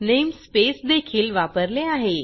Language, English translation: Marathi, namespace is also used here